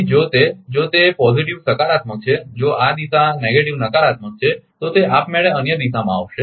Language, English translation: Gujarati, So, if it is if it is positive this direction if it is negative 1, then it will be automatically in other direction